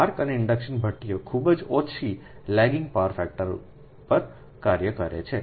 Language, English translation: Gujarati, arc and induction furnaces operate on very low lagging power factor